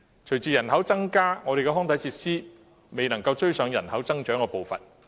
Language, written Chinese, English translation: Cantonese, 隨着人口增加，我們的康體設施卻未能追上人口增長的步伐。, Our population is growing . But our recreational facilities are unable to catch up with the pace of population growth